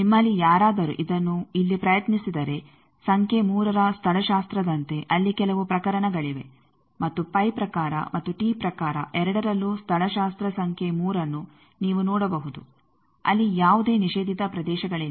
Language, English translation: Kannada, If any of you attempt it here then you can see that there are some of the cases like the topology in a number 3 and topology number 3 in both the pi type and t type there are no prohibited regions